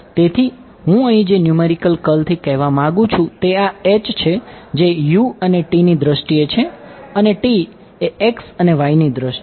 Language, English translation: Gujarati, So, what I mean by numerical curl over here is yes H is in terms of the u s and t s and t is in terms of x and y